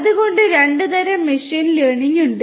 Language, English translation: Malayalam, So, there are two types of machine learning